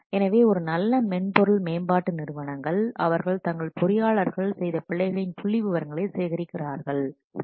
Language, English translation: Tamil, So the good software development companies, they collect the statistics of errors which are committed by their engineers and then they identify the types of errors most frequently committed